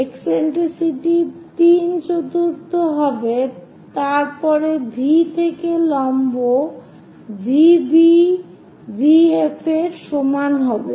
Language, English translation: Bengali, So that eccentricity will be three fourth after that at V draw perpendicular VB is equal to VF